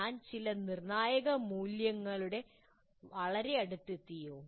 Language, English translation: Malayalam, Am I too close to some critical parameter